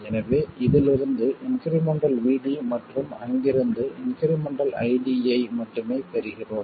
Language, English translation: Tamil, So we get only the incremental VD from this and the incremental ID from there